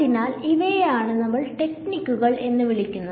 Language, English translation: Malayalam, So, these are what we will call techniques ok